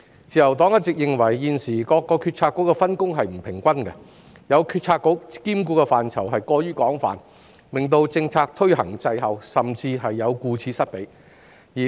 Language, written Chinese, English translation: Cantonese, 自由黨一直認為現時各個政策局的分工不均，有些政策局兼顧的範疇過於廣泛，令推行政策的工作滯後，甚至顧此失彼。, It is a long - standing view of the Liberal Party that there is an uneven division of work among the bureaux . Some of them oversee too broad a range of policy areas resulting in a lag or even an imbalance of weighting in policy implementation